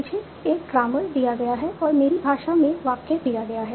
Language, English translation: Hindi, I am given the grammar and I am given the sentence in my language